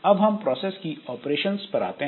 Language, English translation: Hindi, Next coming to the operations on processes